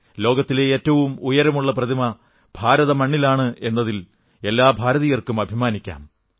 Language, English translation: Malayalam, Every Indian will now be proud to see the world's tallest statue here on Indian soil